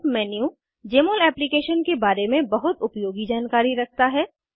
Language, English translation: Hindi, Help menu has a lot of useful information about Jmol Application